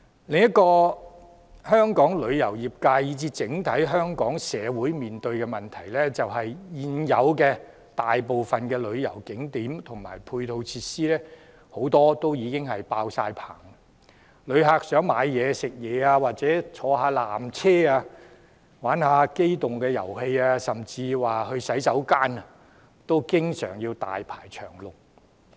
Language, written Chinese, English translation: Cantonese, 另一個香港旅遊業界，以至整體香港社會面對的問題，便是現有大部分旅遊景點和配套設施已經爆滿，旅客想購物、飲食或乘坐纜車、玩機動遊戲，甚至使用洗手間等，經常要大排長龍。, Another problem facing Hong Kongs travel trade and the entire Hong Kong society is that most of the existing tourist attractions and ancillary facilities are flooded with people . Tourists often have to queue long hours for shopping food and beverage cable car rides amusement rides or even toilets